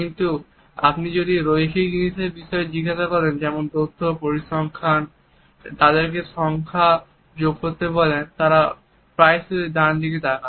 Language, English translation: Bengali, But if you ask people about linear things like data statistics ask them to add up numbers they will quite often look up and to the right